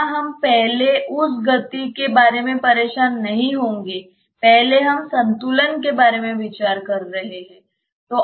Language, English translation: Hindi, Here we will not first be bothered about the motion we are first considering about the equilibrium